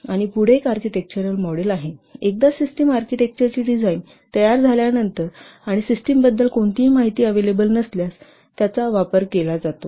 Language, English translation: Marathi, This is used once the system architecture has been designed and no information about the system is available